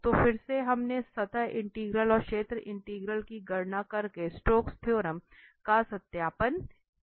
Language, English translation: Hindi, So, again we have verified the Stokes theorem by computing the surface integral also the area integral